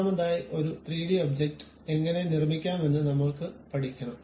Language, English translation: Malayalam, First of all we will learn how to construct a 3D object ok